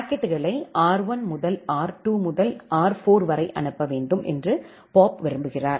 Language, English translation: Tamil, And Bob wants that the packets need to be forwarded from R 1 to R 2 to R 4